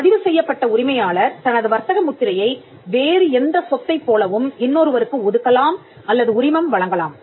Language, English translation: Tamil, The registered proprietor may assign or license the trademark as any other property